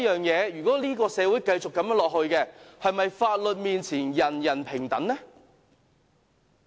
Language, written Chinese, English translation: Cantonese, 如果這個社會繼續如此下去，是否法律面前，人人平等？, If society continues to go this way will all of us still enjoy equality before the law?